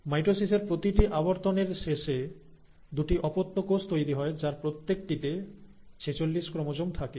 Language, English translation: Bengali, So in mitosis, by the end of every round of mitosis, you will have two daughter cells, each one of them containing forty six chromosomes